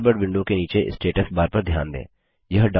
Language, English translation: Hindi, Note the status bar at the bottom of the Thunderbird window